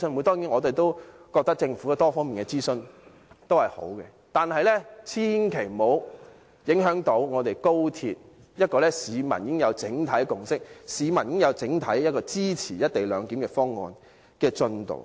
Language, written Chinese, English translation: Cantonese, 當然，我們覺得政府有多方面的諮詢也是好的，但千萬不要影響推行市民已經有整體共識，市民已經整體支持的高鐵"一地兩檢"方案的進度。, upon her arrival . Certainly I think it is good for the Government to consult the public in various ways but consultation should in no way affect the progress of implementing the co - location arrangement which has already obtained the general consensus and support of the public